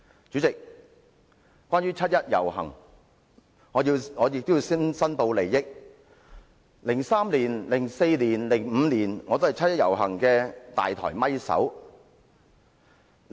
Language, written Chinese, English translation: Cantonese, 主席，關於七一遊行，我要申報 ，2003 年、2004年和2005年我都是七一遊行的"大台咪手"。, President as regards the 1 July march I must declare that I acted as a main presenter for the 1 July march in 2003 2004 and 2005